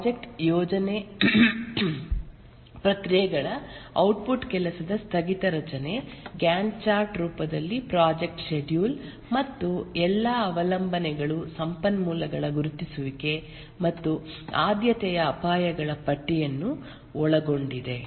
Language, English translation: Kannada, The project planning processes here the output include work breakdown structure, the project schedule in the form of Gantchard and identification of all dependencies and resources and a list of prioritized risks